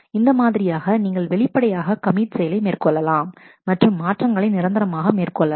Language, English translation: Tamil, So, this is the way you can explicitly do commit and make the changes permanent